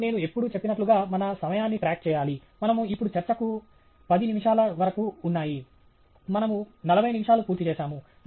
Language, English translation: Telugu, And, by the way, as I always mentioned, we need to keep track of our time; we are now down to about 10 minutes of our talk; we have finished about 40 minutes